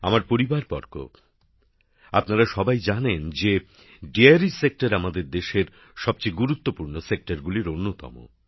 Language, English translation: Bengali, My family members, you all know that the Dairy Sector is one of the most important sectors of our country